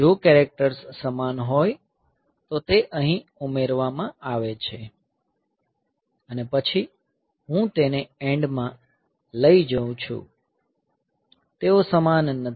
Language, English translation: Gujarati, So, if the characters are same then it is a adding here and then I am taking end of; they are not same